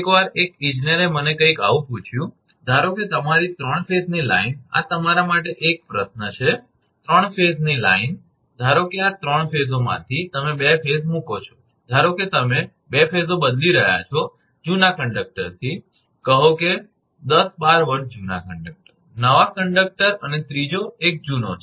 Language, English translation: Gujarati, Once, one engineer asked me something like this, suppose your 3 phase line this is a question to you, 3 phase line; suppose out of this 3 phases say your putting 2 phases, suppose you are replacing 2 phases the old conductor say 10, 12 years old conductor, a new conductor and third one is an old one